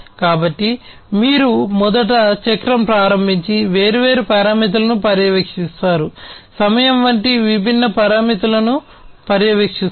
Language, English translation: Telugu, So, you have first of all the starting of the cycle and monitoring different parameters; monitoring different parameters such as time etc